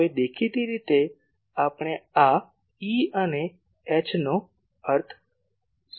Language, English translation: Gujarati, Now; obviously, what do we mean by this E and H